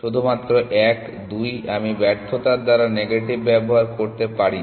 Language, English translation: Bengali, Only one, two can I use negation by failure, no